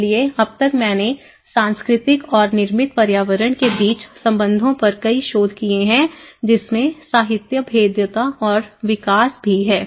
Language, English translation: Hindi, So till now, there are main lot of research works on cultural and the relation between built environment and there is also a lot of literature vulnerability and the development